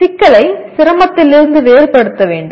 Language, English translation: Tamil, The complexity should be differentiated from the difficulty